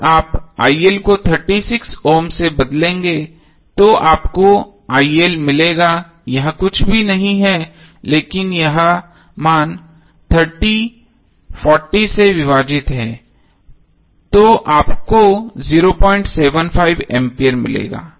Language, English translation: Hindi, When you will replace RL with 36 ohm you will get IL is nothing but 30 divided by the value 40 so you will get 0